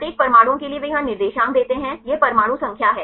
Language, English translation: Hindi, For each atoms they give the coordinates here this is the atom number